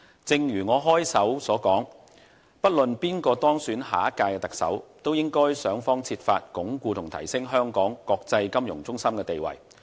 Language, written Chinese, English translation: Cantonese, 正如我開首所言，不論誰當選下屆特首，都應設法鞏固和提升香港國際金融中心的地位。, As I said at the beginning of my speech no matter who is elected the next Chief Executive he or she should seek to enhance and improve the status of Hong Kong as an international financial centre